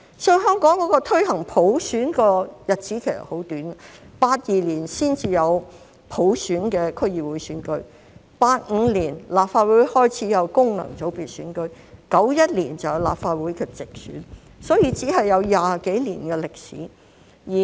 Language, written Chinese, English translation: Cantonese, 所以，香港推行普選的日子很短 ，1982 年才有普選的區議會選舉 ，1985 年立法會開始有功能界別選舉 ，1991 年有立法會直選，只有20多年歷史。, The history of the promotion of universal suffrage in Hong Kong is very short . The District Councils became fully elected only in 1982 the functional constituency elections were first introduced to the Legislative Council in 1985 and the first - ever direct elections of the Legislative Council took place in 1991 which is only some 20 years ago . I think the experts who drafted the Basic Law were very prescient